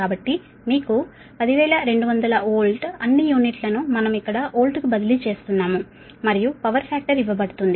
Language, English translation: Telugu, you write ten thousand two hundred volt, all, all unit we are transferring in to volt here and power factor is given